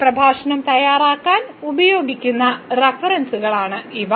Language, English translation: Malayalam, These are the references used for preparing these this lecture and